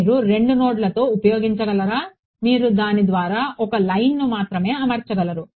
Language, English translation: Telugu, Can you use with 2 nodes you can only fit a line through it